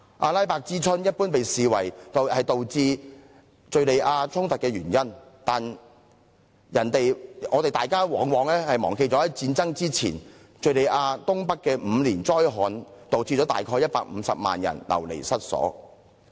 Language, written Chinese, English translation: Cantonese, "阿拉伯之春"一般被視為導致敍利亞衝突的原因，但大家往往忘記在戰爭爆發前，敍利亞東北曾發生5年災旱，導致約150萬人流離失所。, The Arab Spring is generally regarded as the cause leading to the conflicts in Syria but people seldom remember that before the outbreak of civil war in the country the north - eastern part of Syria has been stricken by a five - year drought and about 1.5 million people were made homeless